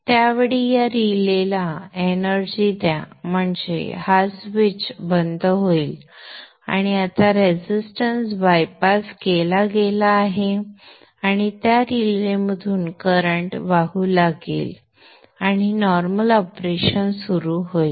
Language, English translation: Marathi, At that time energize this relay so the switch will be closed and now the resistance is bypassed, current will go through that relay and normal operation begins